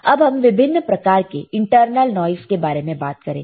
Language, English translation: Hindi, Now, when we talk about types of internal noise, then there are several type of internal noise